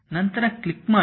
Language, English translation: Kannada, Now, click again